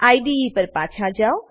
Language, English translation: Gujarati, Switch back to the IDE